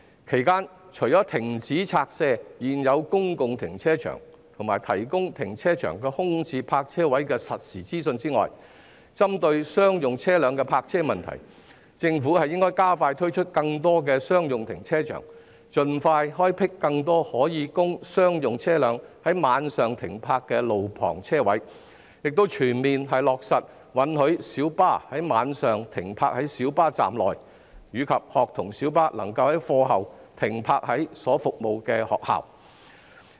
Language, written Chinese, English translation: Cantonese, 其間，除了停止拆卸現有公共停車場，以及提供停車場空置泊車位的實時資訊外，針對商用車輛的泊車問題，政府應加快推出更多商用停車場，盡快開闢更多可供商用車輛在晚上停泊的路旁車位，並全面落實允許小巴在晚上停泊在小巴站內，以及學童小巴可在課後停泊於所服務的學校內。, Meanwhile apart from halting the demolition of existing public car parks and providing real - time information on vacant parking spaces in car parks the Government should focusing on the parking problem of commercial vehicles expedite the provision of more commercial car parks and on - street parking spaces for commercial vehicles during night time . It should also fully implement the measures of allowing minibuses to park at minibus stands during night time and school light buses to park in the schools they serve after class